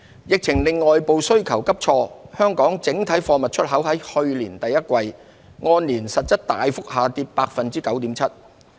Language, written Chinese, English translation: Cantonese, 疫情令外部需求急挫，香港整體貨物出口在去年第一季按年實質大幅下跌 9.7%。, Amid a sharp fall in external demand caused by the epidemic Hong Kongs total exports of goods tumbled by 9.7 % year - on - year in real terms in the first quarter of last year